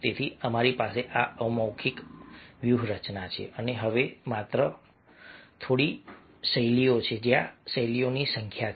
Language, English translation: Gujarati, so we have these verbal, nonverbal strategies and now just a few styles are there